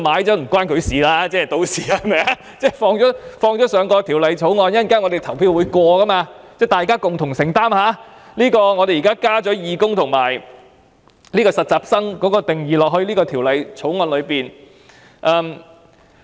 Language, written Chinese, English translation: Cantonese, 政府在《條例草案》加入這些修正案，最後會經議員投票通過，由大家共同承擔在《條例草案》加入義工及實習人員等定義的後果。, After the Government has included these amendments in the Bill and endorsed by Members through voting both parties should collectively bear the consequences of adding the definitions of volunteer intern and so on in the Bill